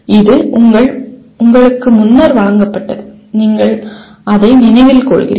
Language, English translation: Tamil, It is presented to you earlier, you are remembering